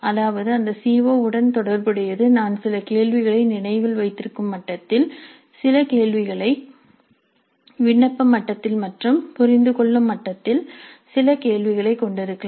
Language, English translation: Tamil, That means related to that COO I can have some questions at remember level, some questions at apply level and some questions at the understand level also